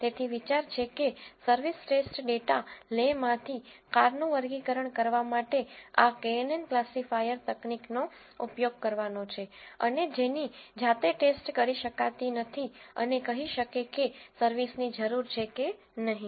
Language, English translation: Gujarati, So, the idea is to use this knn classification technique to classify the cars in the service test data le which cannot be tested manually and say whether service is needed or not